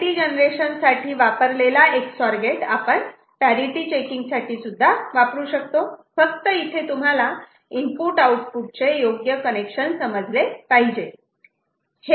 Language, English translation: Marathi, So, same Ex OR gate which was doing a parity generation can be used for parity checking also just by making a proper understanding of input output you know connection, ok